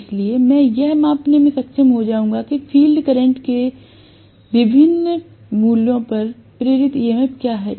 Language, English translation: Hindi, So, that I would be able to measure what is the induced EMF at different values of field current, okay